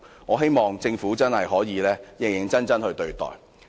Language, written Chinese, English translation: Cantonese, 我希望政府真的可以認真對待。, I hope the Government can really take them seriously